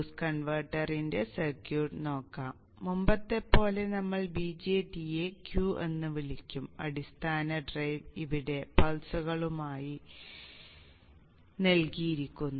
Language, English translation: Malayalam, We have here the circuit of the boost converter and like before we will form the VJT symbol Q and the base drive is given here as pulses